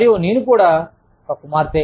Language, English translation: Telugu, And, i am also a daughter